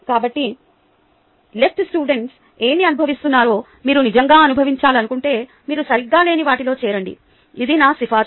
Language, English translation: Telugu, so, if you really want to experience what left students are going through, sign up for something that you are not good at